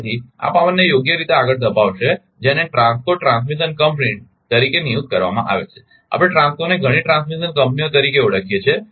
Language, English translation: Gujarati, So, that will wheel this power right, have been designated as TRANSCOs transmission companies, we call TRANSCOs several transmission companies